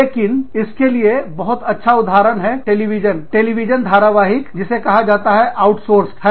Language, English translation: Hindi, But, a very nice example of this, is a TV series called, outsourced